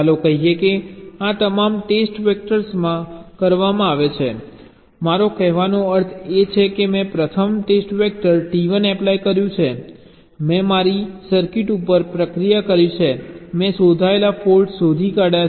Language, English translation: Gujarati, what i mean to say is that suppose i have a applied the first test vector, t one, i have processed my circuit, i have find out the faults detected